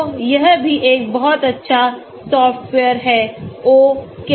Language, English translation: Hindi, So that is also a very good software, the Ochem